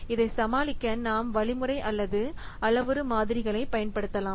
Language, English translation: Tamil, So, in order to overcome this we may apply algorithmic or parametric models